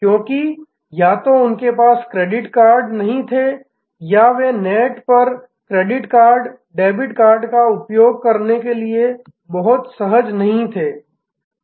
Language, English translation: Hindi, Because, either they did not have credit cards or they were not very comfortable to use credit cards, debit cards on the net